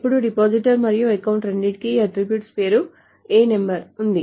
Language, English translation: Telugu, Now what happens is that depositor and account both have this attribute name A number